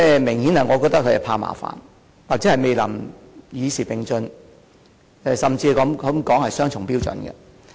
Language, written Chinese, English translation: Cantonese, 我認為政府明顯是怕麻煩，或未能與時並進，甚至可說是雙重標準。, I think the Government obviously wanted to avoid troubles or failed to progress with the times or I would even say that it has adopted double standards